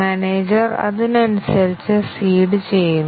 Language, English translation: Malayalam, and the manager seeds according to that